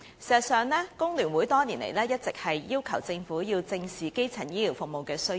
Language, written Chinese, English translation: Cantonese, 事實上，工聯會多年來一直要求政府正視基層醫療服務的需要。, As a matter of fact the Hong Kong Federation of Trade Unions FTU has requested the Government to squarely address the needs for primary health care services for years